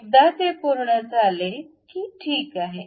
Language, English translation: Marathi, Once it is done, ok